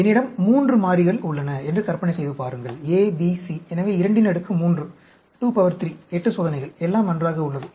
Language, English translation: Tamil, Imagine I have 3 variables, A, B, C; so, 2 raised to the power 3, 8 experiments; everything is ok